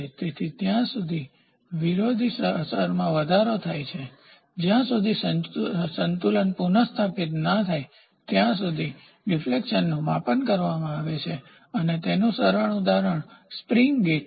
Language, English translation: Gujarati, So, there is an increase in the opposing effect until a balance is restored at which stage the measurement of the deflection is carried out and the simple example is the spring gauge